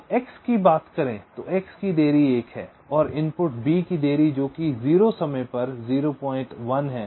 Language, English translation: Hindi, for x, the delay of x is one and the delay of the input b, which is at time zero, is point one